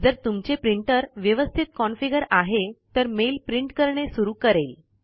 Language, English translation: Marathi, If your printer is configured correctly, the mail must start printing now